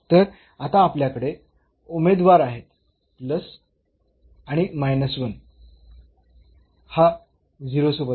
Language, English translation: Marathi, So, we have the candidates now the plus and the minus 1 with the 0